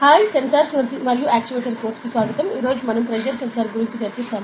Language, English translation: Telugu, Hi, welcome to the Sensors and Actuators course, today we will be discussing about a pressure sensor